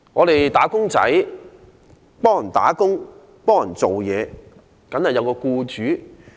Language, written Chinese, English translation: Cantonese, "打工仔"受僱工作，當然應有僱主。, Wage earners are employed to work; they must therefore have an employer